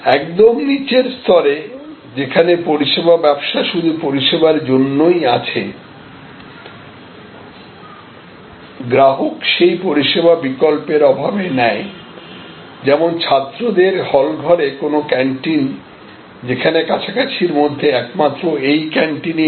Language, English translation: Bengali, So, at the lowest level, where service business is at just available for service, customers patronize the service, because they have no alternative like the canteen at a student hall; because that is the only canteen; that is available in the vicinity